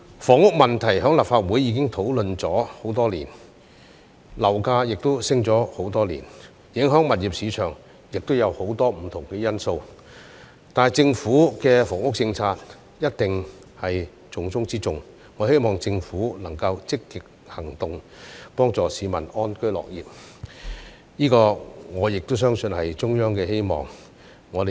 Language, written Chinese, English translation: Cantonese, 房屋問題在立法會已討論多年，樓價亦已上升多年，影響物業市場亦有很多不同因素，但政府的房屋政策一定是重中之重，我希望政府能夠積極行動，幫市民安居樂業，我亦相信這是中央的希望。, The housing problem has been discussed in the Legislative Council for many years and property prices have been rising for many years . There are also many different factors affecting the property market but the Government must accord top priority to its housing policy . I hope the Government can take proactive actions to help people live and work in contentment